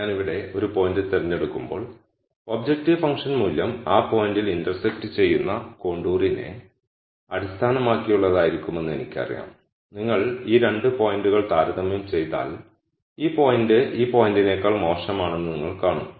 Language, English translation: Malayalam, So, when I pick a point here I know that the objective function value would be based on the contour which intersects at that point and if you compare these 2 points you will see that this point is worse o than this point, from a minimization viewpoint